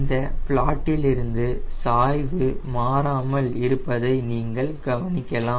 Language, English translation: Tamil, from this plot you can notice that the slope remains the same